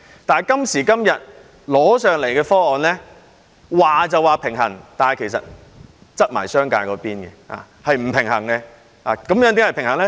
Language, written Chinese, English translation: Cantonese, 但是，今時今日提交立法會的方案，雖說是平衡，但卻傾斜商界，是不平衡的。, While the proposal submitted to the Legislative Council claimed to be balanced it has tilted in favour of the business sector and is unbalanced